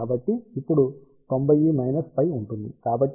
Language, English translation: Telugu, So, this will be now 90 minus phi